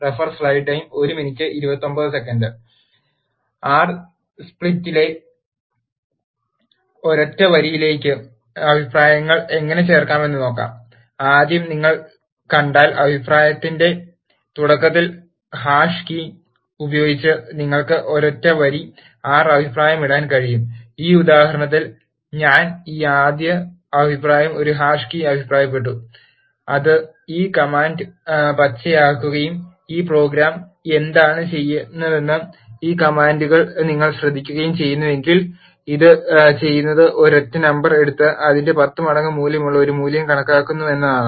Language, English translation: Malayalam, Let us look how to add comments to a single line in R script first you can comment a single line R by using hash key at the start of the comment if you see in this example I have commented this first comment by a hash key which turns this command green and if you notice these commands are describing what this program is doing, what it is doing is it is taking a single number and then calculating a value which is 10 times of it